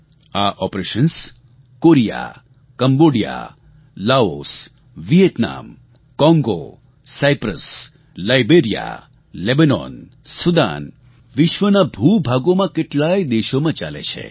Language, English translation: Gujarati, These operations have been carried out in Korea, Cambodia, Laos, Vietnam, Congo, Cyprus, Liberia, Lebanon, Sudan and many other parts of the world